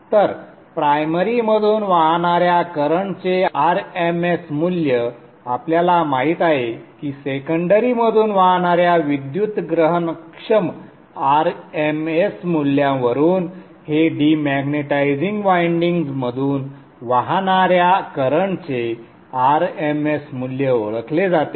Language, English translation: Marathi, So, RMS value of current flowing through the primary, we know that from the electrical perspective, RMS value of the current flowing through the secondary is known, RMS value of the current flowing through the dematizing winding